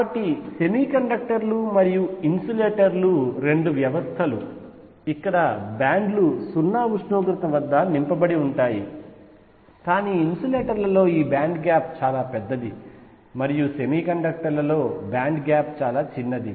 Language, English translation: Telugu, So, semiconductors and insulators are both systems where bands are filled at 0 temperature, but in insulators the band gap is very large, and in semiconductors band gap is small